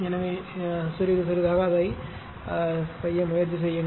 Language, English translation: Tamil, So, little bitlittle bit you try to do it yourself right